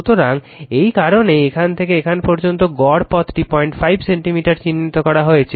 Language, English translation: Bengali, So, that is why from here to here the mean path it is marked 0